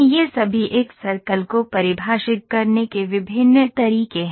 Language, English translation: Hindi, These are all different ways of defining a circle